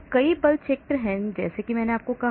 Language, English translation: Hindi, So there are many force fields like I said